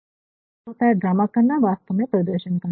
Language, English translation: Hindi, Which means to perform drama is actually performed